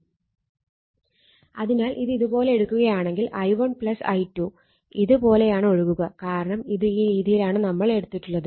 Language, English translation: Malayalam, So, if you take like this then i 1 plus i 2 flowing through this right, because you have taken like this